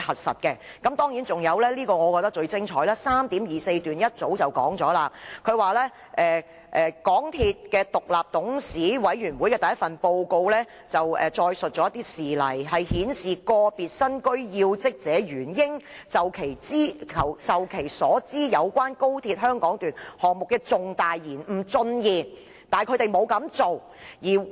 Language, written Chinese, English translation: Cantonese, 我覺得最精彩的是，第 3.24 段早已說出："港鐵公司獨立董事委員會的第一份報告載述事例，顯示個別身居要職者原應就其所知有關高鐵香港段項目的重大延誤進言，但他們沒有這樣做。, I find the most apt description in paragraph 3.24 MTRCLs first IBC Report identifies instances of individuals in key positions failing to communicate what they knew in respect of the significance of delays to XRL